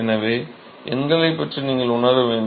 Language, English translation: Tamil, So, you have to have some feel for the numbers